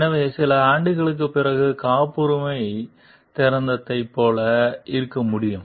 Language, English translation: Tamil, So, could be there like the patent after certain years it becomes open